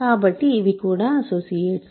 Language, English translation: Telugu, So, these are also associates